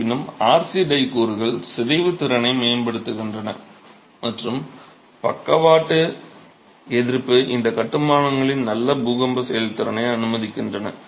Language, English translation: Tamil, However, the RC tie elements improve the deformation capacity and allow for lateral resistance and good earthquake performance of these constructions